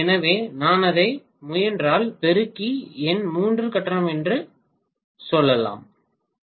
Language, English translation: Tamil, So I can multiply that by three and then say that is what is my three phase